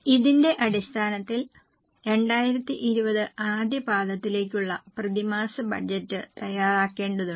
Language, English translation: Malayalam, Based on this, we need to prepare monthly budget for the quarter, first quarter 2020